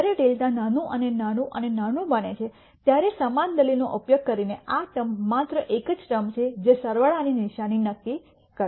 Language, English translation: Gujarati, By using the same argument when delta becomes smaller and smaller and smaller this term is the only term that will determine the sign of the sum